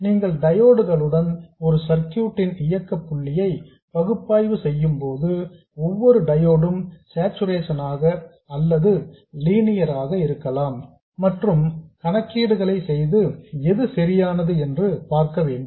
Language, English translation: Tamil, So when you are analyzing the operating point of a circuit with diodes, you have to assume that each diode was either in saturation or linear and work out the calculations and see which is consistent